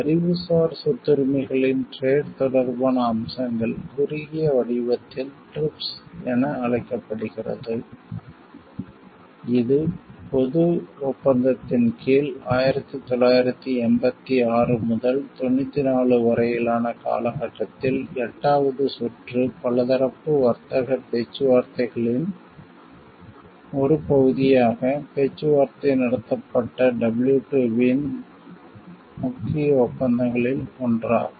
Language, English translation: Tamil, Trade related aspects of Intellectual Property Rights in short form is known as TRIPS, it is one of the main agreements of the WTO which was negotiated and was negotiated as a part of the eighth round of multilateral trade negotiations in the period 1986 to 94 under the General Agreement of Tariffs and Trades; commonly referred to as the Uruguay round extending from 1986 to 1994